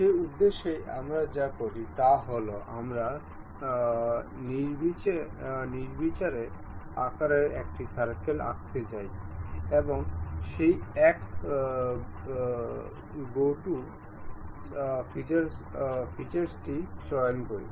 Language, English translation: Bengali, For that purpose what we do is we go draw a circle of arbitrary size and pick that one go to features